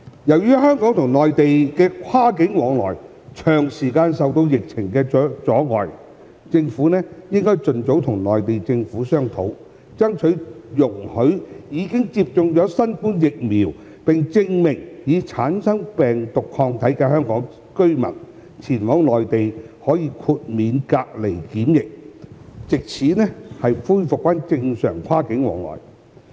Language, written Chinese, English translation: Cantonese, 由於香港與內地的跨境往來長時間受到疫情阻礙，政府應盡早與內地政府商討，爭取容許已經接種新冠疫苗，並證明已產生病毒抗體的香港居民，前往內地可以豁免隔離檢疫，藉此恢復正常跨境往來。, As cross - boundary activities between Hong Kong and the Mainland have been hindered by the pandemic for a long period of time the Government should negotiate with the Mainland Government as soon as possible for allowing Hong Kong residents who received the COVID - 19 vaccination and certified as carrying antibodies of COVID - 19 to be exempted from quarantine when travelling to the Mainland so that normal cross - boundary travel can be resumed